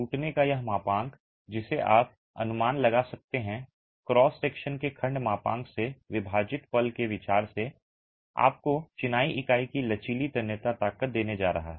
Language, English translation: Hindi, This model is a rupture that you can estimate from consideration of the moment divided by the section modulus of the cross section is going to give you the flexual tensile strength of the masonry unit